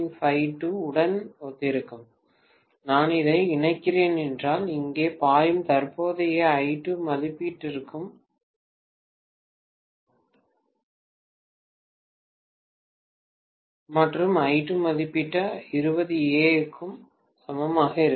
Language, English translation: Tamil, 5 ohm, if I am connecting this, the current flowing here will be I2 rated and I2 rated is same as 20 ampere, right